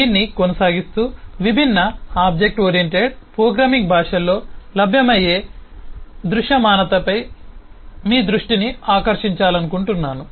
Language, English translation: Telugu, continuing on this eh, I would just like to draw your attention to eh the visibility as is available in different object oriented programming languages